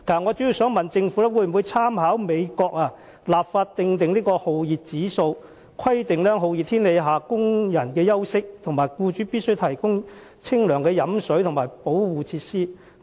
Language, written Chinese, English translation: Cantonese, 我主要想問，政府會否參考美國的做法，立法訂立酷熱指數、規定工人在酷熱天氣下的休息時間，以及訂明僱主必須提供清涼的飲用水和相關保護設施？, My major question is Will the Government draw reference from the practice of the United States and legislate for the formulation of a heat index the provision of rest breaks to workers under hot weather and the provision of cool drinking water and relevant protective measures by employers?